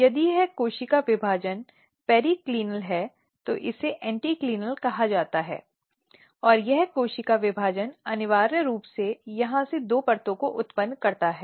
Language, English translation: Hindi, So, this cell division if it is periclinal this is called anticlinal and this cell division essentially generates two layers from here onwards